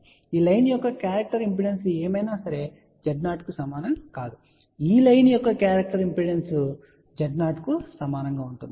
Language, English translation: Telugu, So, whatever is the characteristic impedance of this line will not be equal to Z 0 the characteristic impedance of this line will also be equal to Z 0